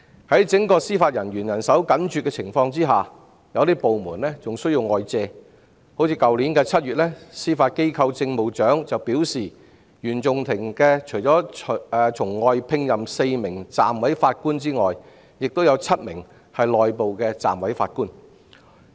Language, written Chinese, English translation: Cantonese, 在整個司法人員人手緊絀的情況下，有些部門還需要外借人手，例如去年7月，司法機構政務長便表示原訟法庭除了從外聘任4名暫委法官外，亦有7名是內部的暫委法官。, When the Judiciary is on the whole short of hands some courts are still required to second their staff to other courts . For instance the Judiciary Administrator stated in last July that CFI would have seven internal deputy judges in addition to four external deputy judges